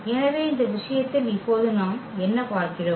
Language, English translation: Tamil, So, what do we see now in this case